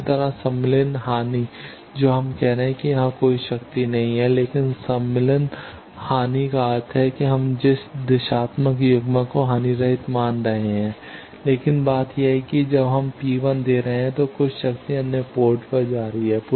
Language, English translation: Hindi, Similarly, insertion loss that we are saying that the there is no power going here, but insertion loss means the directional coupler we are assuming to be lossless, but the thing is when we are giving P 1 some power is going to other ports